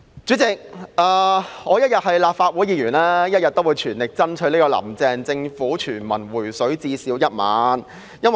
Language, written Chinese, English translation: Cantonese, 主席，只要我一日是立法會議員，我便會全力爭取"林鄭"政府向全民"回水"最少1萬元。, President as long as I am a Council Member I will go all out to demand from the Carrie LAM Government a universal cash handout of at least 10,000